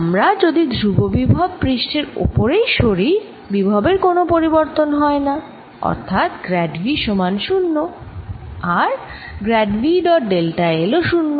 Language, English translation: Bengali, if we move along the constant potential surface, delta v is equal to zero and grad of v dot delta l is zero